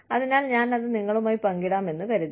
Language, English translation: Malayalam, So, I thought, I would share it with you